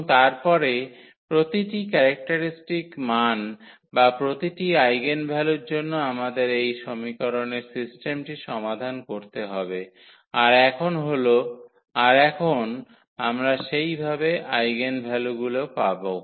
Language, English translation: Bengali, And, then for each characteristic value or each eigenvalue we have to solve that system of equation that now we will get in that way the eigenvectors